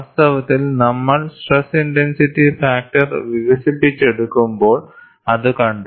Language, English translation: Malayalam, In fact, we had seen that, when we had developed stress intensity factors